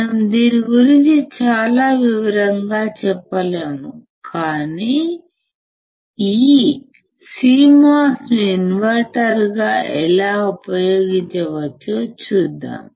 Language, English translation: Telugu, We will not go too much detail into this, but we will just see how this CMOS can be used as an invertor